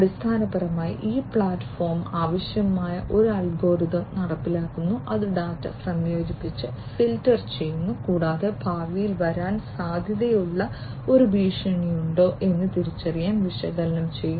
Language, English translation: Malayalam, So, here basically this platform implements an algorithm that is required, which basically combines and filters the data, and the data that is collected will be analyzed to basically you know identify whether there is a potential threat that can come in the future